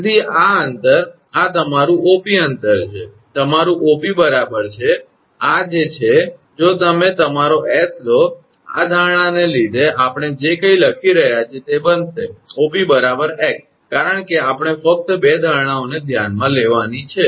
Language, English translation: Gujarati, So, this distance this is your OP the distance is your OP is equal to actually this is if you take your s, it will be whatever we are writing that OP is equal to x because of this assumption because we have to just consider the two assumptions